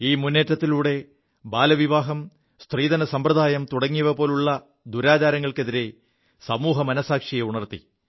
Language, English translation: Malayalam, This campaign made people aware of social maladies such as childmarriage and the dowry system